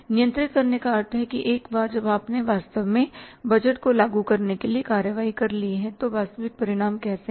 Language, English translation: Hindi, Controlling means verifying that once you have taken the action actually gone for implementing the budgets, then how are the actual results